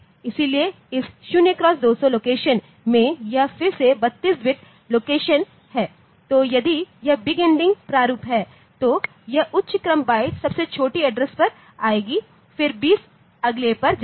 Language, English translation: Hindi, So, in this 0 x 2 0 0 that location, this is again a 32 bit location then this if it is big endian format then this higher order byte will come to the lowest address then 2 0 goes to the next one